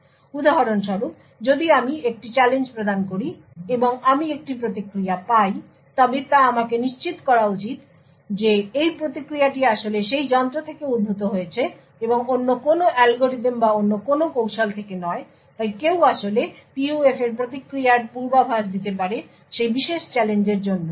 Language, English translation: Bengali, So, for example, if I provide a challenge and I obtain a response I should be guaranteed that this response is actually originated from that device and not from some other algorithm or some other technique, So, someone could actually predict the response for the PUF for that particular challenge